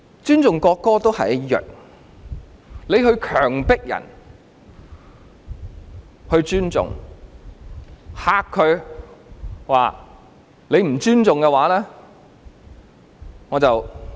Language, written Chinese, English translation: Cantonese, 尊重國歌也是一樣的，強迫別人尊重、威嚇對方說："若你不尊重，便送你入獄"。, This was bogus respect . The same goes for respect for the national anthem . If you force or threaten others to respect the national anthem saying If you show no respect I will send you to prison